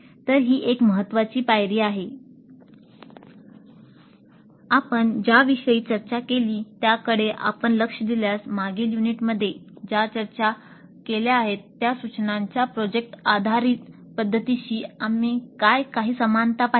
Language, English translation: Marathi, Now if you look at what we have discussed so far we see certain number of similarities with the project based approach to instruction which we discussed in the previous unit